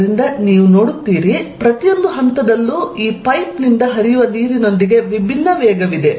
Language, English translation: Kannada, So, you see at each point, there is a different velocity associated with this water flowing out of the pipe